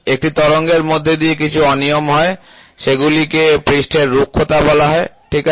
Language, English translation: Bengali, So, within a wave you have some irregularities those things are called as surface roughness, ok